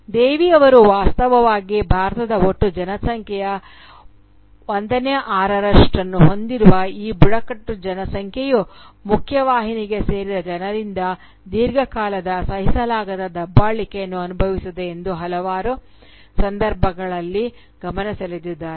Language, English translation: Kannada, As Devi has, in fact, pointed out in several occasions, this tribal population, which forms about 1/6th of the total population of India, has long suffered unimaginable oppressions from the people who belong to the mainstream